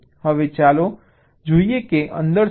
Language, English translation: Gujarati, now lets see what is there inside